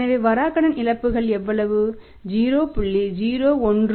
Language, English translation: Tamil, So, bad debt losses will be how much 0